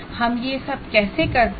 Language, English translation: Hindi, How do we do all this